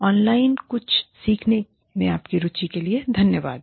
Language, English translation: Hindi, Thanks to you, and your interest in learning something, online